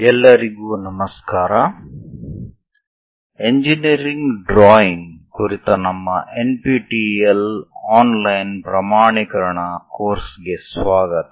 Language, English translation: Kannada, Hello everyone, welcome to our NPTEL online certification courses on engineering drawing